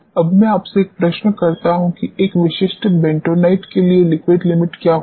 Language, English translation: Hindi, Now, let me ask you a question, what would be the liquid limit for a typical bentonite